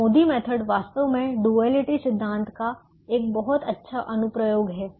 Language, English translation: Hindi, i method is actually a very good application of the duality principle